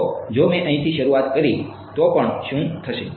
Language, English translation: Gujarati, So, even if I started from here, what will happen